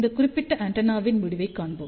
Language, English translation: Tamil, Let us see the result of this particular antenna